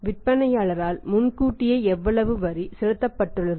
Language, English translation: Tamil, How much tax has in advance when paid by the seller